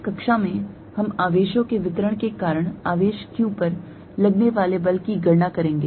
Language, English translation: Hindi, In this class, we will calculate force on a charge q due to distribution of charges